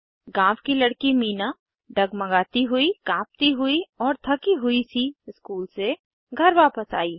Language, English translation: Hindi, The village girl Meena returned home from school feeling shaky and shivery and looked tired